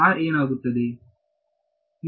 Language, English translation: Kannada, What is it